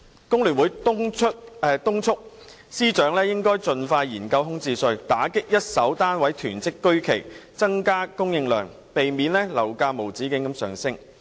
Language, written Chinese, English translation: Cantonese, 工聯會敦促財政司司長盡快研究開徵物業空置稅，以打擊一手單位囤積居奇，增加供應量，避免樓價無止境地上升。, FTU urges the Financial Secretary to expeditiously study the introduction of a vacant property tax so as to combat the hoarding of first - hand flats increase supply and prevent property prices from rising endlessly